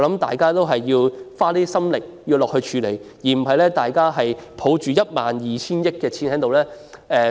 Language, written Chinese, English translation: Cantonese, 大家要多花一點心思和力量，不能只是抱着 12,000 億元的儲備。, We should think harder and make more efforts rather than embracing a reserve of 1.2 trillion